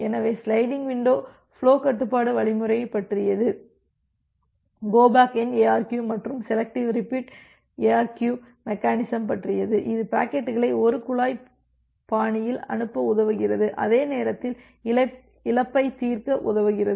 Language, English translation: Tamil, So, that is all about the sliding window based flow control algorithms, the go back N ARQ and selective repeat ARQ mechanism which helps you to send the packets in a pipeline fashion and at the same time helps you to resolve for loss